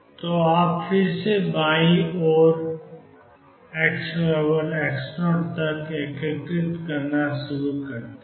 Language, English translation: Hindi, So, you start again integrating to the left and up to x equals x 0